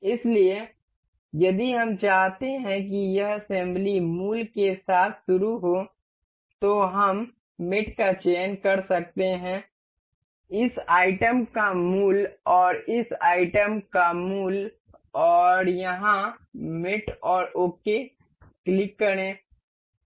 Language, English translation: Hindi, So, if we want this assembly to start with origin, we can select mate, the origin of this item and the origin of this item and this mates here, and click ok